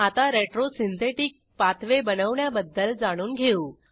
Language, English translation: Marathi, Now, lets learn to create a retro synthetic pathway